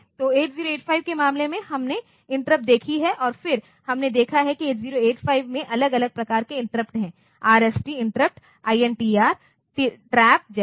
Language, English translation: Hindi, So, in case of 8 0 8 5, we have seen interrupts and then we have seen that there are different types of interrupts that that are there in 8 0 8 5, RST interrupt then INTR trap and things like that